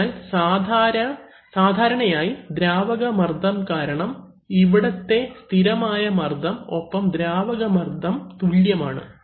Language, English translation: Malayalam, So normally because the fluid pressure here for steady pressure and the fluid pressure here are same